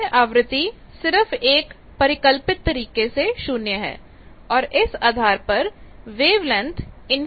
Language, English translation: Hindi, Now, if we put frequency 0 it is just hypothetically frequency 0 means this wavelength is infinity